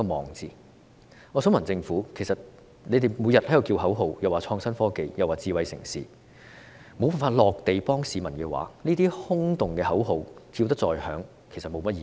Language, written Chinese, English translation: Cantonese, 我想告訴政府，其實你們每天在叫口號，倡議創新科技、智慧城市，但如無法實在地幫助市民的話，這些空洞的口號叫得再響亮亦沒甚麼意義。, I wish to tell the Government that in fact you chant slogans every day advocating innovation and technology and smart cities but if you cannot really help the people these empty slogans are meaningless no matter how loud they are